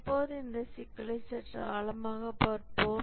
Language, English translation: Tamil, Now let's look at this issue a little deeper